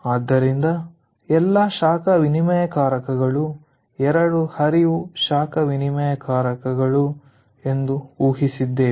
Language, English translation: Kannada, so we have assumed all the heat exchangers are two stream heat exchangers